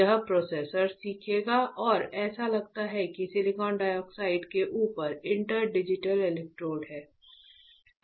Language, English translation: Hindi, This processor will learn and that is how it looks like that there is inter digital electrodes right over silicon dioxide